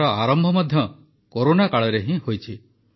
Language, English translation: Odia, This endeavour also began in the Corona period itself